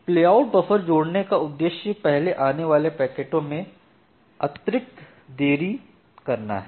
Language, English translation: Hindi, So, the idea of the playout buffer is to introduce additional delay to the packets which come first